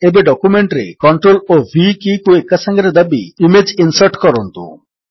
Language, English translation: Odia, Now press CTRL and V keys together to insert the image into the document